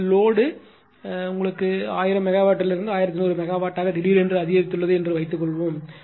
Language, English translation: Tamil, Suppose your load demand has suddenly increased to say from 1000 megawatt to 1100 megawatt